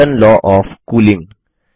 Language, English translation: Hindi, Newtons law of cooling